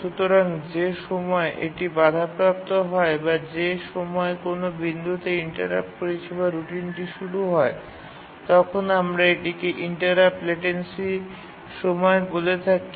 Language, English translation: Bengali, So the point where the interrupt occurs, the time point at which the interrupt occurs to the time point where the interrupt service routine starts running, we call it as the interrupt latency time